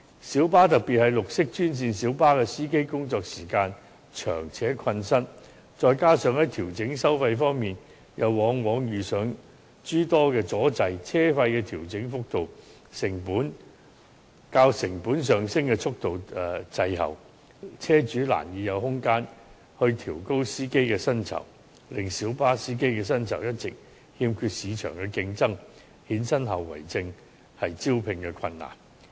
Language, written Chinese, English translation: Cantonese, 小巴司機，特別是綠色專線小巴的司機工作時間長且困身，再加上在調整收費方面又往往遇上諸多阻滯，車費的調整幅度較成本上升的速度滯後，車主難以有空間調高司機的薪酬，令小巴司機的薪酬一直欠缺市場競爭力，衍生的後遺症便是招聘困難。, The working hours of minibus drivers particularly the drivers of green minibuses are long and drivers are tied up at work . In addition their applications for fare adjustment often encounter many obstacles resulting in the rate of fare adjustment lagging behind the speed of cost increases . There is little room for minibus owners to raise the salary of drivers